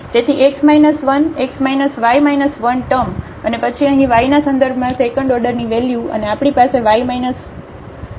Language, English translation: Gujarati, So, x minus 1 x minus y minus 1 term and then here the second order term with respect to y and the way we have y minus 1 whole squared term